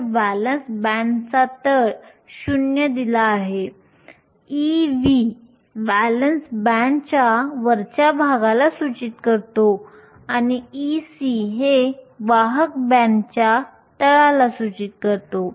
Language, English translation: Marathi, So, the bottom of valence band is given 0, E v denotes the top of the valance band and E c denotes the bottom of the conduction band